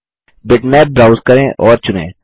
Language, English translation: Hindi, Browse and select a bitmap